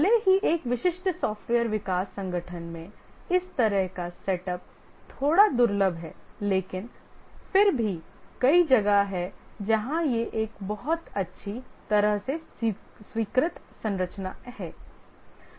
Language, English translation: Hindi, Even though in a typical software development organization this kind of setup is a bit rare but then there are many places where this is a very well accepted structure